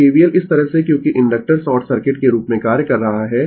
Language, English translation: Hindi, So, if you apply KVL like this because inductor is acting as short circuit